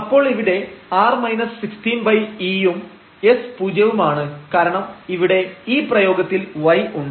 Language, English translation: Malayalam, So, here r is minus 16 over e square and the s is 0 because of here y is there in the expression